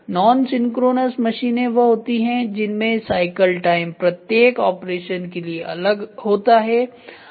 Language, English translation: Hindi, Non synchronous machines are those were the cycle time for every operation is different